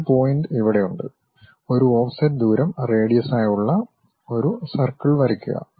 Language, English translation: Malayalam, Something like, we have a point here with an offset distance as radius draw a circle